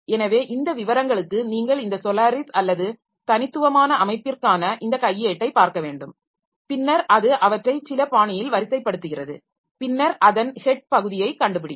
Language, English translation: Tamil, So, for this detail you need to look into this manual for this solar is or the unique system and then it is sorting them in some fashion and then it finding the head part of it